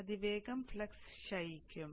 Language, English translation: Malayalam, So exponentially the flux will decay